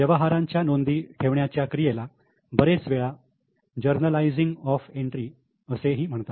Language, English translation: Marathi, Recording of transaction is many coins called as journalizing of entries